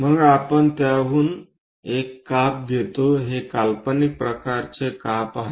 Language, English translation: Marathi, Then we take a cut of that is these are imaginary kind of ah cuts